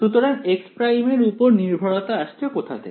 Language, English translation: Bengali, So, where will the x prime dependence come from